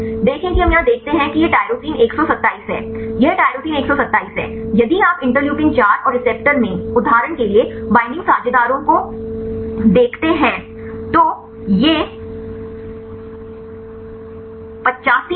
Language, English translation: Hindi, See we see here this is the tyrosine 127, this is tyrosine 127, if you look into the binding partners for example, in the Interleukin 4 and receptor, so this arginine 85